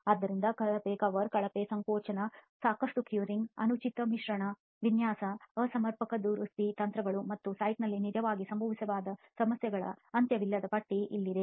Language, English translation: Kannada, So poor cover, poor compaction, insufficient curing, improper mix design, improper repair strategies and also there is endless list of problems that can actually happen on site